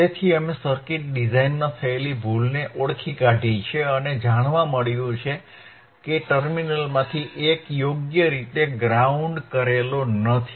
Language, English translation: Gujarati, Ah s So we have identified the mistake in the in the circuit design and what we found is that one of the terminal was not properly grounded alright